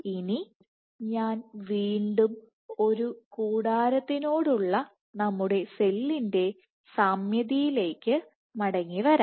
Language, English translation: Malayalam, Now, I will again come back to our analogy of cell as a tent